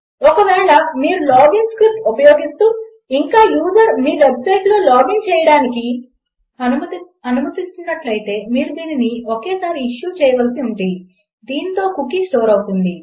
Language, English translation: Telugu, If you are using a log in script and you let the user log into your website, you would need to issue this only once and then the cookie will be stored